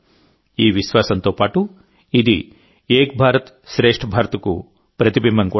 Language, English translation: Telugu, Along with inner faith, it is also a reflection of the spirit of Ek Bharat Shreshtha Bharat